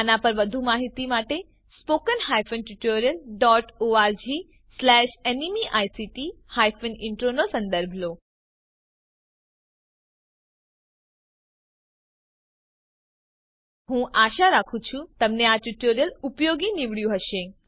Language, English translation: Gujarati, More information on this please visit spoken hyphen tutorial dot org slash NMEICT hyphen intro I hope you find this spoken tutorial useful for learning